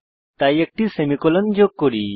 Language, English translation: Bengali, So let us add a semicolon